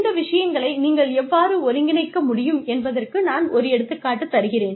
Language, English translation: Tamil, I am just giving an example of how, you can integrate these things